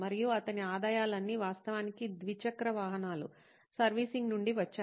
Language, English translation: Telugu, And all his revenue actually came from the servicing of two wheelers